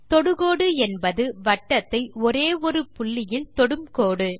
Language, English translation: Tamil, Tangent is a line that touches a circle at only one point